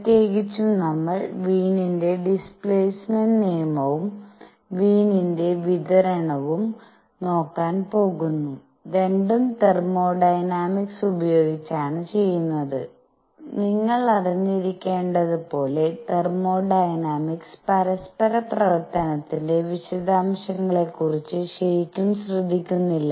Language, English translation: Malayalam, In particular, we are going to look at Wien’s displacement law and Wien’s distribution and both are done using thermodynamics and as you must know, the thermodynamic does not really care about the details of interaction